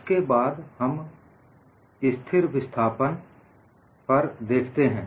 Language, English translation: Hindi, Then we look atp constant displacement